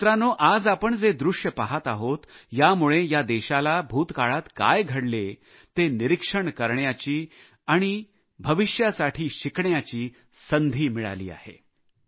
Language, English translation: Marathi, But friends, the current scenario that we are witnessing is an eye opener to happenings in the past to the country; it is also an opportunity for scrutiny and lessons for the future